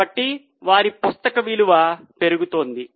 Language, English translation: Telugu, So, their book value is going up